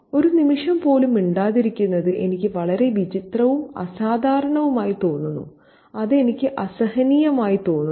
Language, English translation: Malayalam, Seeing the girl mute even for an instant seems so odd and unusual to me that I find it unbearable